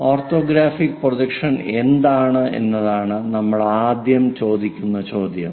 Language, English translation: Malayalam, First question we will ask what is an orthographic projection